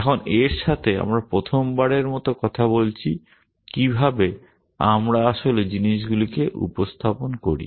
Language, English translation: Bengali, Now, with this we for the first time we are talking about how do we actually represent things